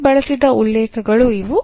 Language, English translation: Kannada, These are the references used here